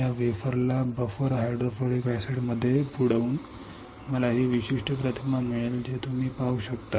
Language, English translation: Marathi, By dipping this wafer into buffer hydrofluoric acid I will get this particular image what you can see